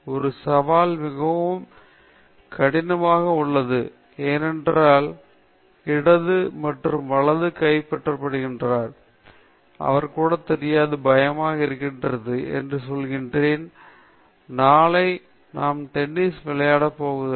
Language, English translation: Tamil, A three, the challenge is very high, because the other fellow is smashing left and right, he doesn’t even know, this fellow gets scared, he will tell – mummy, from tomorrow I am not going to tennis